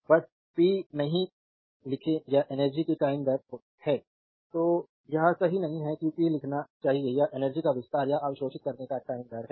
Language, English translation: Hindi, Simply do not write the power is the time rate of energy then it is not correct better you should write power is the time rate of expanding or absorbing energy right